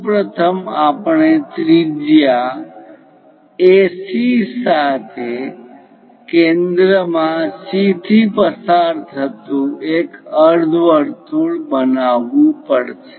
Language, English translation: Gujarati, First of all, we have to construct a semicircle passing through A with radius AC and centre as C